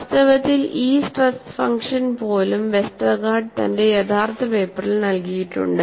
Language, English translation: Malayalam, In fact, even this stress function was provided by Westergaard in his original paper